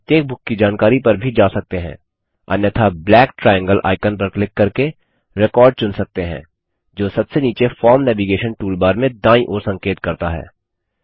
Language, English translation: Hindi, We can also go to each books information, otherwise called record,by clicking on the black triangle icon that points to the right, in the Forms Navigation toolbar at the bottom